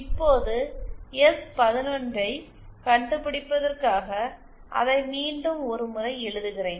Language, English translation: Tamil, Now to find out S 11, let me just write it once again